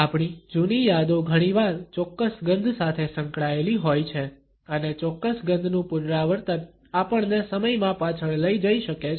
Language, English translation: Gujarati, Our old memories often are associated with certain smells and the repetition of a particular smell may carry us backward in time